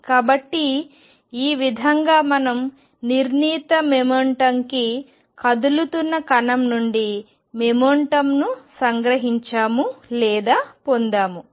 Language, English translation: Telugu, So, this is how we extracted or got the moment out of the particle moving to the definite momentum